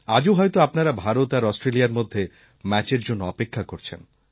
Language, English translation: Bengali, I am sure you are eagerly waiting for the match between India and Australia this evening